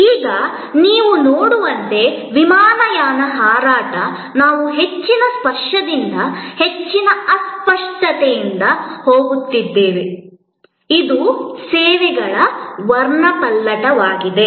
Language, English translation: Kannada, Now, an airline fight as you can see, we are going from high tangibility to high intangibility, this is the spectrum of services